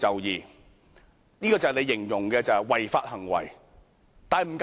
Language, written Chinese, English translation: Cantonese, 這便是你形容的違法行為了。, These are what you describe as illegal acts